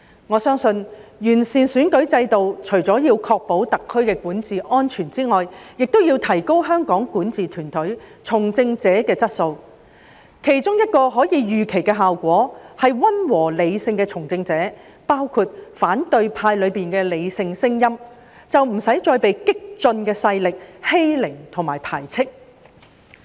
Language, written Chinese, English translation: Cantonese, 我相信完善選舉制度，除為確保特區的管治安全外，也要提高香港管治團隊從政者的質素，其中一個可以預期的效果，便是溫和、理性的從政者，包括反對派中的理性聲音，不會被激進勢力欺凌和排斥。, I believe that apart from ensuring the safe governance of SAR the improvement of the electoral system also seeks to enhance the quality of politicians in the governing team of Hong Kong . One of the expected results is that moderate and rational politicians including the rational voices in the opposition will not be bullied or excluded by radical forces